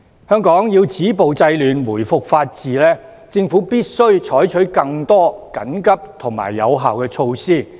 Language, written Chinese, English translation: Cantonese, 香港要止暴制亂，回復法治，政府必須採取更多緊急和有效的措施。, In order to stop the violence and curb disorder and restore the rule of law in Hong Kong the Government must adopt more urgent and effective measures